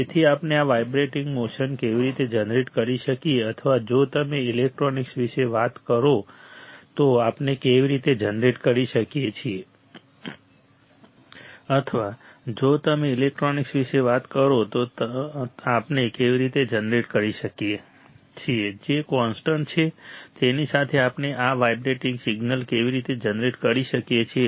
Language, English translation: Gujarati, So, how we can generate this vibrating motion or how we can generate if you talk about electronics, how we can generate this vibrating signal right with the which is constant, which is constant right